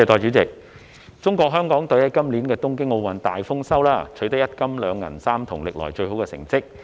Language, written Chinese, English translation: Cantonese, 代理主席，中國香港隊在今年東京奧運會大豐收，取得—金、二銀、三銅，是歷來最好的成績。, Deputy President the Hong Kong China delegation has reaped great harvests by capturing one gold two silver and three bronze medals at the Tokyo Olympic Games this year which are the best results ever